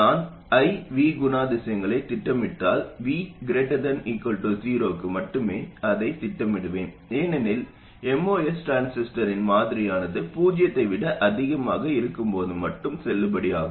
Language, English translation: Tamil, What happens is that if I do plot the I characteristic and I will plot it only for V greater than 0 because our model of the most transistor is valid only when the voltages are greater than 0